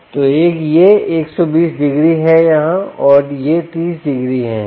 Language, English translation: Hindi, so this is hundred and twenty degrees here and this is thirty degrees here